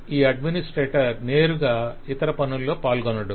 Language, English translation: Telugu, Administrator will not directly take part in the other activities